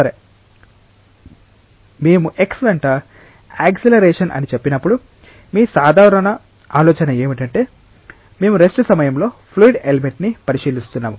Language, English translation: Telugu, Well, when we say acceleration along x your general idea would be that we are considering a fluid element at rest